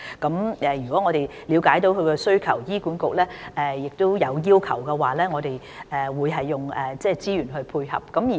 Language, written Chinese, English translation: Cantonese, 在了解到病人的需求後，如醫管局亦提出要求，我們會提供資源配合。, After understanding the patients needs we will provide resources to meet such needs upon request by HA